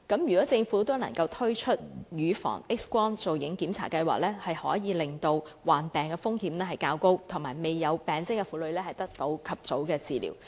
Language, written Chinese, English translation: Cantonese, 如果政府能夠推出乳房 X 光造影檢查計劃，便可以令患癌風險較高但未有病徵的婦女及早獲得治療。, If the Government can roll out a mammography examination programme women who stand a higher risk of cancer but do not have any symptom yet will be able to receive timely treatment